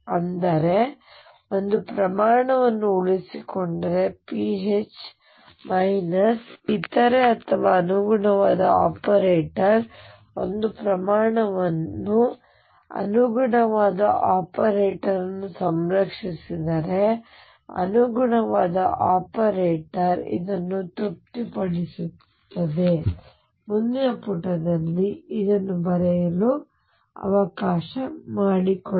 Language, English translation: Kannada, So, what; that means, is if a quantity is conserved pH minus other that or corresponding operator satisfies if a quantity is conserved the corresponding operator, the corresponding operator O satisfies let me write this in the next page